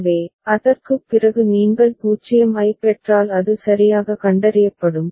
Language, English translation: Tamil, So, after that if you get a 0 then it will be a properly detected